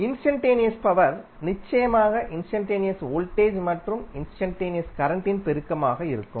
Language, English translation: Tamil, Instantaneous power it will be definitely a product of instantaneous voltage and instantaneous current